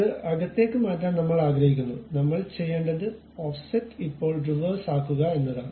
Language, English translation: Malayalam, We want to change that to inside, what we have to do is use Offset now make it Reverse